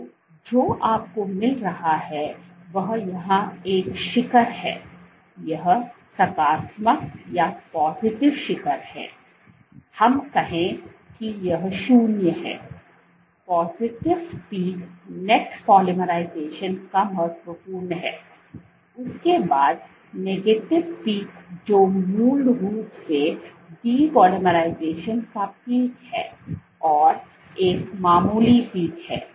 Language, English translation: Hindi, So, what you find is a peak here, this positive peak, let us say this is 0; positive peak significant of net polymerization followed by a negative peak which is basically peak of depolymerization and a minor peak here